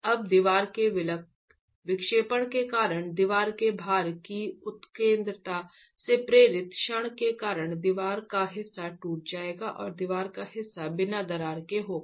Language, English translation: Hindi, Now, due to the deflection of the wall, due to the deflection of the wall because of the moment induced by the eccentricity of the load, part of the wall will crack and part of the wall will remain uncracked